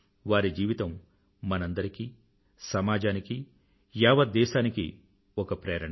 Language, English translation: Telugu, His life is an inspiration to us, our society and the whole country